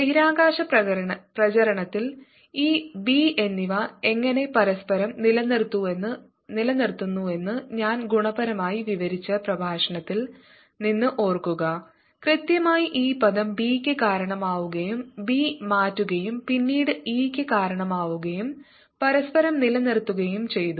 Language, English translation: Malayalam, recall from the lecture where i qualitatively described how e and b sustain each other in propagating space, it was precisely this term that gave rise to b and changing b then gave rise to e and they sustain each other